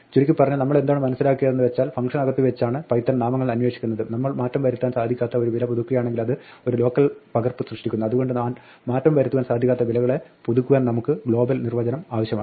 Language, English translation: Malayalam, To summarize, what we have seen is that Python names are looked up inside out from within functions, if we update an immutable value it creates a local copy so we need to have a global definition to update immutable values